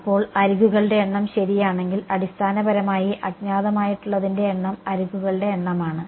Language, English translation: Malayalam, Now, if the number of edges ok so, I basically the number of unknowns is the number of edges